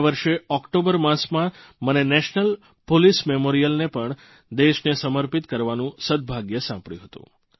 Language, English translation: Gujarati, In the month of Octoberlast year, I was blessed with the opportunity to dedicate the National Police Memorial to the nation